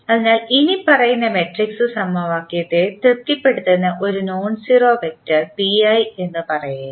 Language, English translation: Malayalam, So, suppose if there is a nonzero vector say p i that satisfy the following matrix equation